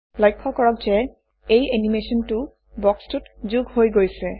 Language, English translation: Assamese, Notice, that this animation has been added to the box